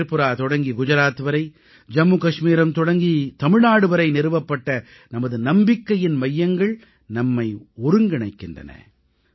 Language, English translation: Tamil, Our centres of faith established from Tripura to Gujarat and from Jammu and Kashmir to Tamil Nadu, unite us as one